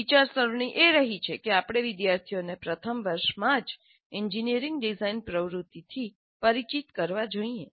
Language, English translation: Gujarati, So the thinking has been that we should expose the students to the engineering design activity right in first year